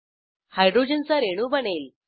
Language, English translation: Marathi, Hydrogen molecule is formed